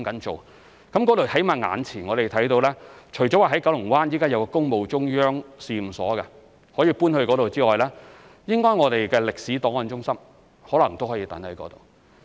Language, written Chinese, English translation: Cantonese, 在那裏，我們眼前起碼看到，除了現時位於九龍灣的一個工務中央試驗所可以搬到該處之外，歷史檔案中心應該也可能可以安置在那裏。, For the time being we at least know that it is possible to in addition to the Public Works Central Laboratory currently located in Kowloon Bay also relocate the Building of Government Records Services Archive Centre there